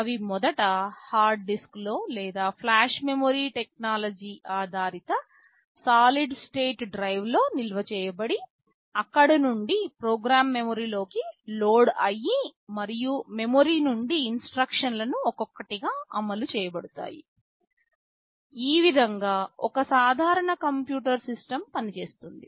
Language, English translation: Telugu, They are initially stored either in the hard disk or in solid state drive based on flash memory technology, from there the program gets loaded into memory and from memory the instructions for executed one by one